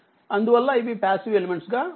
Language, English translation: Telugu, So, that is why they are passive elements right